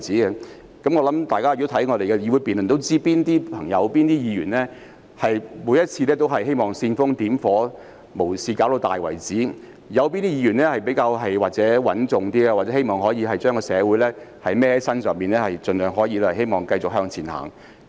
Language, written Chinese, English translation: Cantonese, 如大家有看過議會辯論，也知道哪些議員每次都希望煽風點火，無事化大；哪些議員比較穩重，希望把社會責任肩負上身，盡量繼續向前走。, People who have watched Legislative Council debates should be able to tell which Members are always rabble - rousers who try to blow matters out of proportion and which Members are more pragmatic and willing to shoulder social responsibilities and continue to move forward